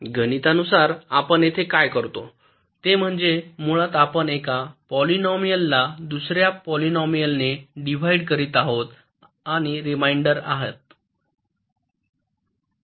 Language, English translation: Marathi, mathematically, what we do here is basically we are dividing a polynomial by another polynomial and take the reminder